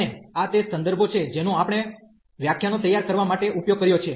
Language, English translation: Gujarati, And these are the references we have used for preparing the lectures